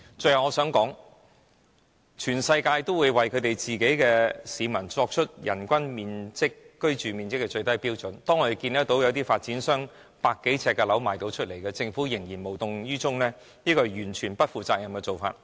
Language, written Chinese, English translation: Cantonese, 最後，我想指出，全世界國家都會為其人民訂立人均居住面積的最低標準，但我們看見一些發展商出售只有百多呎的單位，政府依然無動於衷，這是完全不負責任的做法。, Finally I wish to point out that countries all over the world have set the minimum standard of living space per person but our Government is completely indifferent to developers selling flats of merely 100 - odd sq ft That shows the Government is totally irresponsible